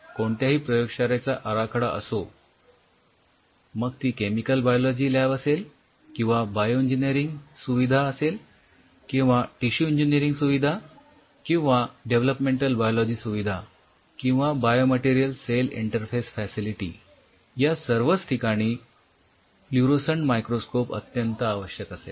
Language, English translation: Marathi, Any library setup its a chemical biology lab or a bioengineering facility or a tissue engineering facility or a development biology facility in or by material cell interface facility fluorescent will be essential